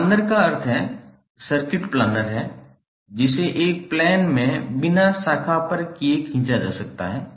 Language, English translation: Hindi, Planer means the circuit is the planer which can be drawn in a plane with no branches crossing one another